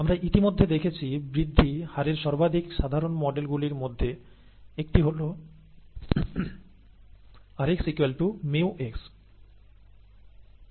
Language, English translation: Bengali, One of the most common models for growth rate that we have already seen is rx equals mu x, okay